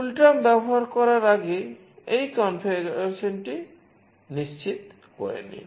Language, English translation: Bengali, Make sure to do this configuration prior to using CoolTerm